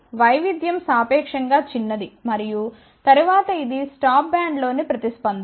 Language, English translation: Telugu, But the variation is relatively small and then of course, it this is the response in the stop band